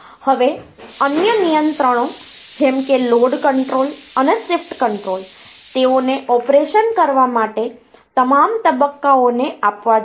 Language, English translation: Gujarati, Now, other controls like this the load control and the shift control they should be given to all the stages, for doing the operation